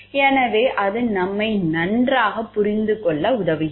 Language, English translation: Tamil, So, that it helps us in a better understand